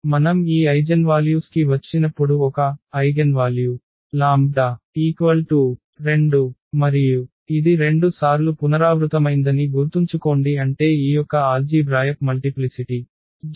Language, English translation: Telugu, When we come to this eigenvalues lambda is an; eigenvalue lambda is equal to 2 and remember it was repeated 2 times meaning the algebraic multiplicity of this lambda is equal to 2 was 2